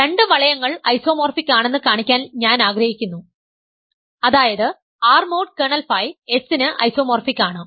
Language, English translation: Malayalam, So, remember our strategy, I want to show two rings are isomorphic, namely R mod kernel phi is isomorphic to S